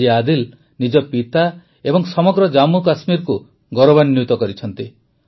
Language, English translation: Odia, Today Adil has brought pride to his father and the entire JammuKashmir